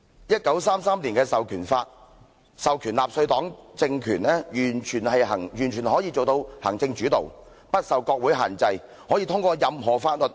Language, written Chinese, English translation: Cantonese, 1933年的《授權法》授權下，納粹黨政權完全可以做到行政主導，不受國會限制，可以通過任何法律。, Armed with the Enabling Act of 1933 as the mandate the Nazi regime could accomplish a totally executive - led system and pass any laws without parliamentary constraints